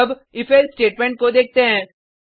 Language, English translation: Hindi, Now let us look at an example of if statement